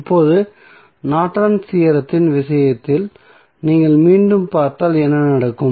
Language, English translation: Tamil, Now, if you see again in case of Norton's Theorem what will happen